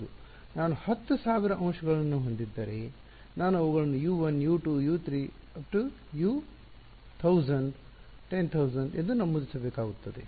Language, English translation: Kannada, Yeah, if I have a 10000 elements, then I will have to be numbering them U 1 up to U 100